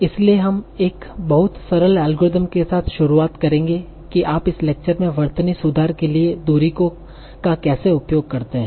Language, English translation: Hindi, So we'll start with a very, very simple algorithm of how do we use at a distance for spelling correction in this particular lecture